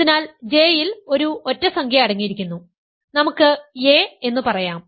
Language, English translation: Malayalam, So, J contains an odd integer, say n, let us say a